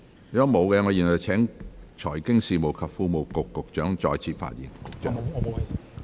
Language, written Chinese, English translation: Cantonese, 如果沒有，我現在請財經事務及庫務局局長再次發言。, If not I now call upon the Secretary for Financial Services and the Treasury to speak again